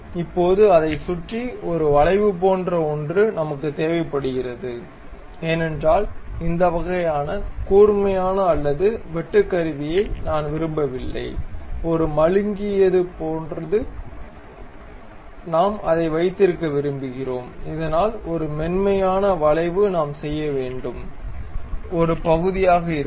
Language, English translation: Tamil, Now, we require something like a arc around that because we do not want this kind of sharp or tool bit, something like a a blunted one we would like to have it, so that a smooth curve we will be in a portion to do